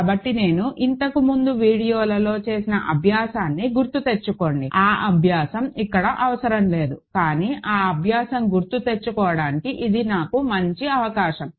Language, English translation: Telugu, So, remember an exercise that I did in the last video of course, that exercise is not needed here, but it is a good chance for me to recall that exercise